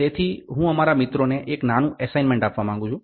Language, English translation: Gujarati, So, I would like to give a small assignment to our friends